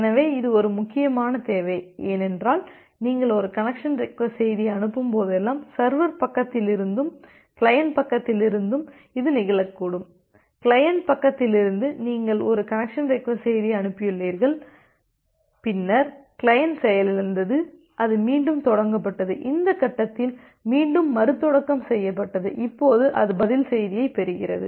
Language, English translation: Tamil, So, this is an interesting requirement, because whenever you are sending a connection request message it may happen that from the server side and here is the client side, say from the client side, you have sent a connection request message and then the client got crashed and it has restarted again say it has restarted again at this point, now here it receives the reply message